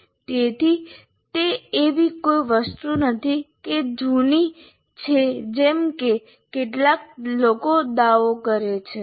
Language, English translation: Gujarati, So it is not something that is outdated as some people claim